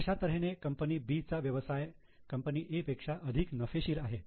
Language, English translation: Marathi, So, B is business is actually more profitable than that of A